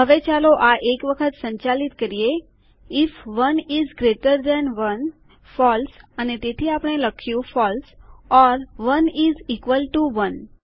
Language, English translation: Gujarati, Now lets run through this once if 1 is greater than 1 false and so we have written false or 1 is equal to 1..